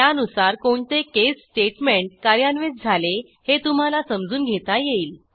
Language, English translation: Marathi, You will be able to understand which case statement was executed